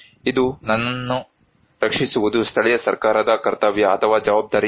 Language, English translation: Kannada, It is the duty or responsibility of the local government to protect me